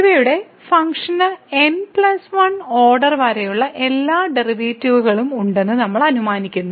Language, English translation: Malayalam, So, we assume that the function here has all the derivatives up to the order plus 1